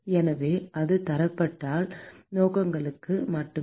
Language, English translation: Tamil, So, that just for standardization purposes